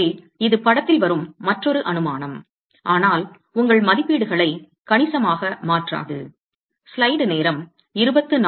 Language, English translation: Tamil, So, that is another assumption that comes into the picture but will not change your estimates significantly